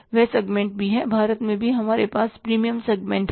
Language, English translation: Hindi, In India also we have the premium segments